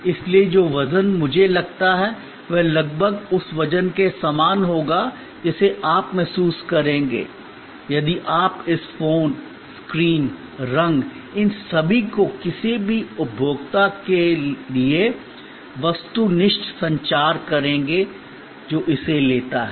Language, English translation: Hindi, So, the weight that I feel will be almost similar to the weight that you will feel if you take this phone, the screen, the color all these will be objective communication to any consumer who takes this up